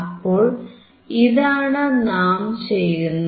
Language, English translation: Malayalam, That is what we do